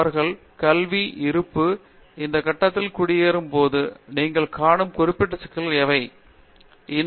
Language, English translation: Tamil, Are there specific issues that you see them encountering as they settle into this phase of their educational existence